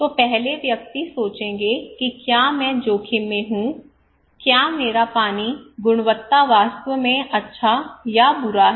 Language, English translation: Hindi, So the first person will think that am I at risk, is my water is quality is really good or bad